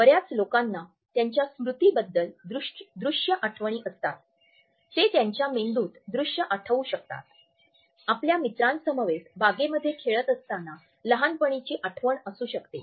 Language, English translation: Marathi, Ask most people about a memory that they can visually recall in their brain you know may be a childhood memory when they were playing in the park with friends